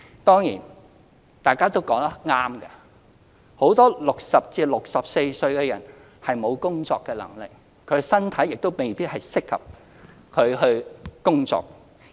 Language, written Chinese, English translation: Cantonese, 當然，大家也說得對，很多60至64歲的人士沒有工作能力，身體亦未必適合工作。, Of course Members are right in saying that many persons aged between 60 and 64 are incapable of working and that their physical conditions may render them not be suitable for work